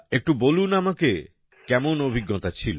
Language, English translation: Bengali, Tell me, how was the experience